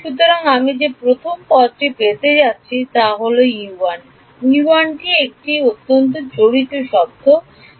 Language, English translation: Bengali, So, the first term that I am going to get is let us say U 1 the term involving U 1